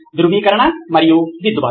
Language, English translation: Telugu, Verification and correction